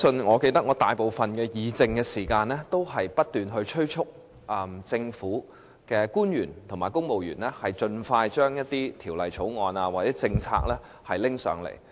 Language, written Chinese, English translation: Cantonese, 我記得花了大部分議政時間，不斷催促政府官員和公務員盡快把一些條例草案或政策提交立法會。, I recall Members spent most of their time on repeatedly urging government officials and civil servants to introduce Bills or policies into the Legislative Council expeditiously instead of deliberating on political affairs